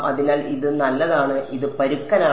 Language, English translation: Malayalam, So, this is fine and this is coarse all right